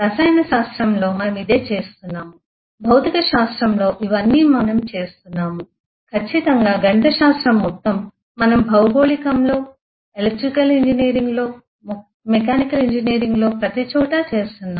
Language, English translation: Telugu, That is all that we but we have been doing this eh in physics we have been doing this is chemistry, certainly whole of mathematics is about that we have been doing this in geography, in electrical engineering, in mechanical engineering everywhere